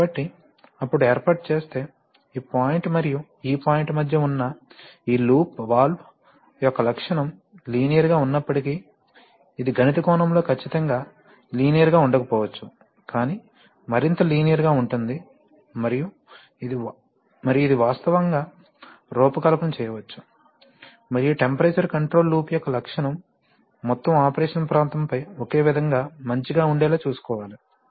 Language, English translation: Telugu, So if you set up then, even if the valve is nonlinear the characteristic of this loop that is between this point and this point are much more linear, let us say, it may not be absolutely linear in a mathematical sense but there will be much more linear and that makes it much easier to actually design the, design and ensure that the characteristic of the temperature control loop remains uniformly good over the, over the whole region of operation